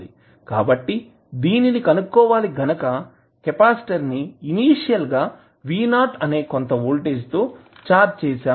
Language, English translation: Telugu, So, for determination let us assume that the capacitor is initially charged with some voltage v naught